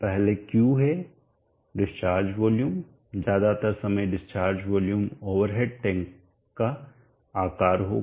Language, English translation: Hindi, First is Q discharge volume, the discharge volume most of the time would be the size of the over at tank